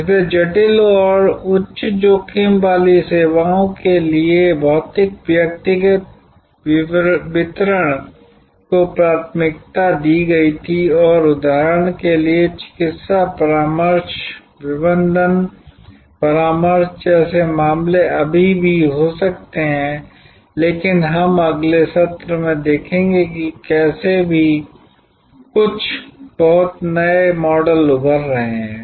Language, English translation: Hindi, So, for complex and high risk services, physical personal delivery was preferred and that may still be the case like for example, medical consultation, management consultancy, but we will see in the next session how even there some very, very new models are emerging